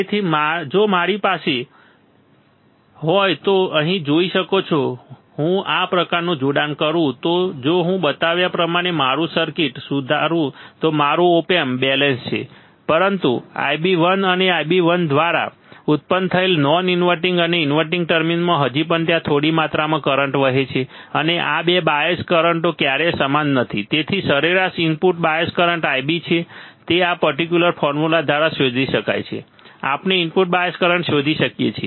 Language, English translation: Gujarati, So, if I have you can see here you can see here right if my if I do this kind of connection if I correct my circuit as shown in schematic then my op amp is balanced, but still there is small amount of current flowing into the non inverting and inverting terminal that is generated by I b 1 and I b 2, right and this 2 bias currents are never same hence average input bias current I b which can be found by this particular formula we can find the input bias current